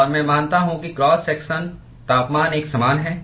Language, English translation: Hindi, And I assume that cross section temperature is uniform